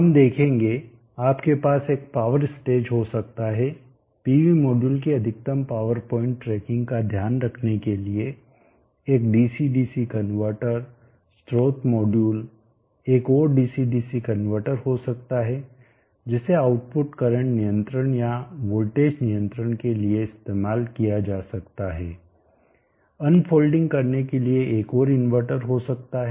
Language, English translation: Hindi, There is also classification based on the number of power stages we will see you may have one power stage one dc dc converter to do take care of maximum power point tracking for the pv modules source modules there is another dc dc converter which can be used for current control or voltage control of the output, there can be another converter for doing the unfolding